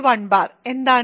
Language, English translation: Malayalam, Why is that